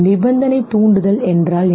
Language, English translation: Tamil, The unconditioned stimulus was